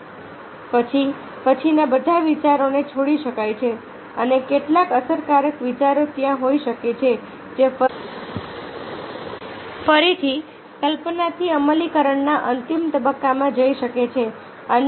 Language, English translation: Gujarati, so then all the ideas later on can be combined and some effective idea can be their which can again move from the conception to the final stage of implementation